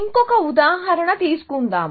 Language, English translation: Telugu, Let me take another example